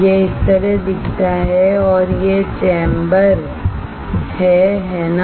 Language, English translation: Hindi, It looks like this and this is the chamber, right